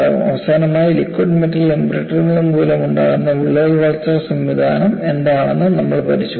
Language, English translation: Malayalam, Finally, we also looked at, what is the crack growth mechanism due to liquid metal embrittlement